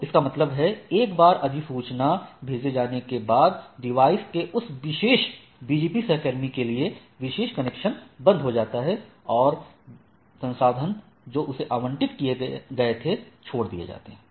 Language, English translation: Hindi, So that means, once the notification sends, the particular connection to that particular BGP peer of the device is closed and the resource says, provisioned or allocated for that things are released right